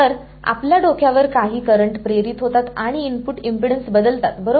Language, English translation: Marathi, So, inducing some currents on your head and changing the input impedance right